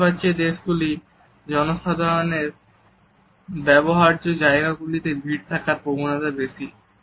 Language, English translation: Bengali, Public spaces in Middle Eastern countries tend to be more crowded